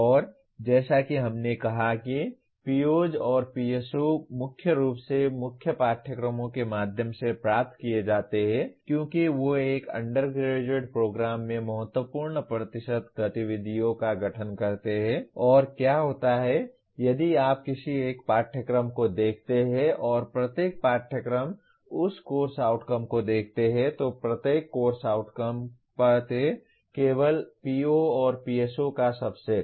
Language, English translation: Hindi, And as we said POs and PSOs are attained mainly through core courses because they constitute the significant percentage of activities in an undergraduate program and what happens is if you look at any one course and also each Course Outcome of that course, each Course Outcome addresses only a subset of POs and PSOs